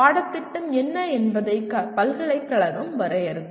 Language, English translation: Tamil, University will define what the curriculum is